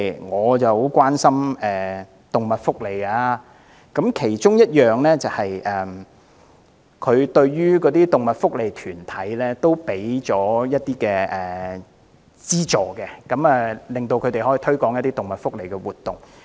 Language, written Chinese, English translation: Cantonese, 我很關心動物福利，預算案其中一項撥款是向動物福利團體提供資助，令他們可以推廣動物福利的活動。, I am very concerned about animal rights . In this Budget one item of funding is earmarked to provide subsidies to animal welfare organizations for holding activities to promote animal welfare . Such funding was never provided in the past